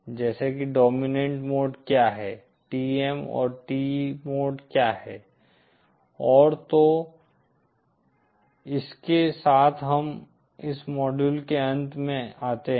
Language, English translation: Hindi, Like what is dominant mode, what are the TM and TE modes and, so with that we come to an end of this module